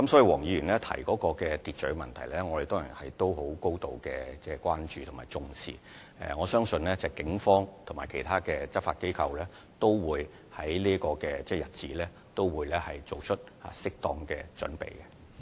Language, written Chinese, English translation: Cantonese, 黃議員提到秩序的問題，我們當然高度關注及重視，我相信警方及其他執法機關均會為這個日子作出適當的準備。, With regard to the maintenance of order as mentioned by Dr WONG we certainly are highly concerned about and attach great importance to this and I believe proper preparations for this day will be made by the Police and other law enforcement agencies